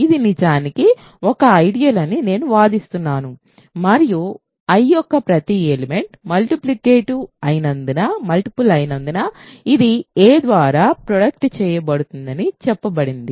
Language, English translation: Telugu, So, I claim that this is actually an ideal and it is said to be generated by a because every element of I is a multiple of a